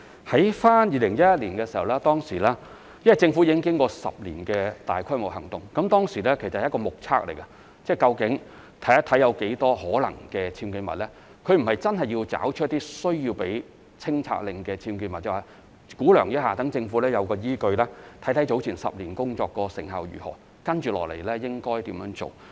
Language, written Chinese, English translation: Cantonese, 在2011年的時候，由於政府已經進行了10年的大規模行動，所以當時所做的是一種目測，看看究竟有多少可能是僭建物，而不是真的要找出需要發出清拆令的僭建物，只是估量一下，讓政府有依據，看看10年前的工作成效如何，以及接下來應該怎樣做。, In 2011 since the Government had already conducted some massive operations for a decade what we did at that time were visual inspections to estimate the number of possible UBWs instead of really identifying those UBWs to which issuance of removal orders was warranted . We were only conducting an estimation to form a basis for the Government to assess the effectiveness of our work in the previous decade and consider our upcoming approach